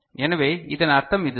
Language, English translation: Tamil, So, this is what is indicated here